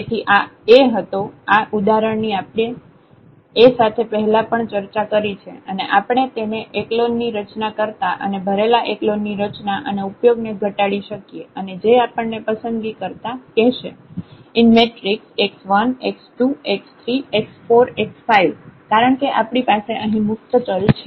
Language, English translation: Gujarati, So, here the A was this one this example we have already discussed before with this A and we can reduce it to the this echelon form loaded used echelon form and which tells us that these x 1 x 2 x 3 x 4 by choosing because, we have to we have free variables here